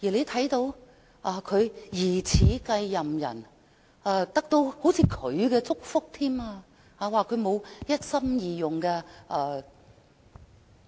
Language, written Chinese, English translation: Cantonese, 他的疑似繼任人彷如得到他祝福，被指沒有一心二用。, His may - be successor seems to have got his blessing as he has said she does not have any problem of divided attention